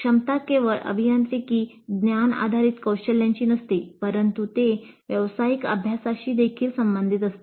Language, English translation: Marathi, They are not necessarily only engineering knowledge based competencies, but they are also related to the professional practice